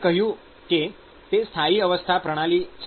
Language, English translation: Gujarati, So, we said that it is a steady state system